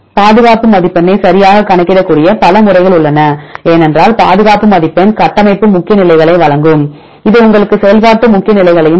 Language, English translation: Tamil, Then there are several methods which can calculate the conservation score right because why we are concerned about conservation score this will give you the structural important positions this will give you the functional important positions and these positions